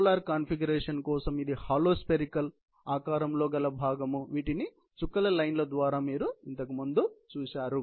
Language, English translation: Telugu, Polar configuration; it is part of a hollow spherical shape; all you have seen before by the dotted lines mentioned earlier